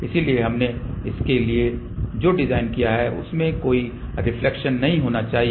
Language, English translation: Hindi, So, what we have designed for that there should be no reflection